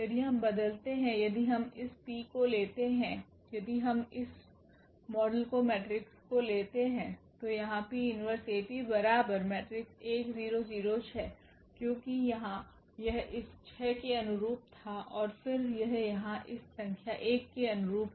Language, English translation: Hindi, If we change, if we take this P, if we take this model matrix then here P inverse AP when we compute, this will be 6 0 and 0 1, because here this was corresponding to this 6 and then this is corresponding to this number 1 here